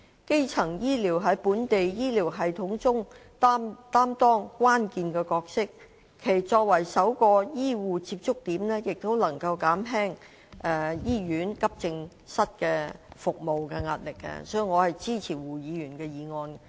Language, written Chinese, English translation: Cantonese, 基層醫療在本地醫療系統中擔當關鍵的角色，其作為首個醫護接觸點亦能減輕醫院急症室服務的壓力，所以，我支持胡議員的議案。, Primary health care plays a crucial role in local health care system . As the first point of contact in the health care system it can also alleviate the pressure borne by accident and emergency AE services in hospitals . Therefore I support Mr WUs motion